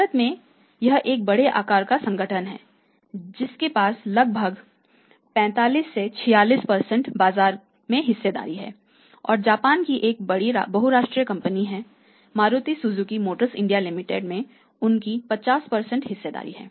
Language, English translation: Hindi, There organise structure is this a multinational company even in India also it is a large size organisation who has about 45 46% market share right and big multinational company from Japan they have 50% share holding say in the Maruti Suzuki Motor India Limited